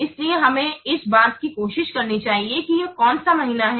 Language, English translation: Hindi, So hence we should try for what this is the middle one that is the month